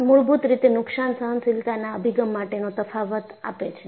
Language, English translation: Gujarati, So, this fundamentally, makes a difference in damage tolerant approach